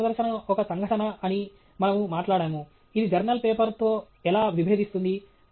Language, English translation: Telugu, We spoke about technical presentation being an event; how it contrasted with the journal paper